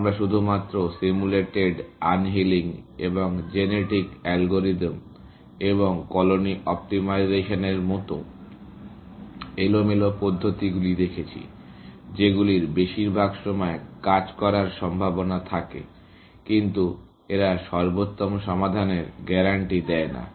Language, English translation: Bengali, We only looked at randomized methods like simulated, unhealing and genetic algorithms, and colony optimization, which are likely to work most of the time, but not necessarily guarantee optimal solutions